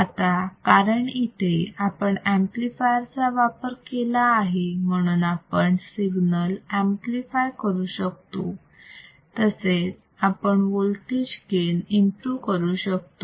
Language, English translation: Marathi, So, because we have now used the amplifier, we can also amplify the signal and we can also improve or gain the voltage, we can also introduce the voltage gain